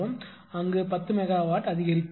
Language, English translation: Tamil, So, 10 megawatt increases there